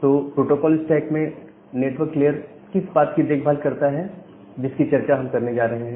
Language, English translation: Hindi, So, that is taken care of by the network layer of the protocol stack that we are going to discuss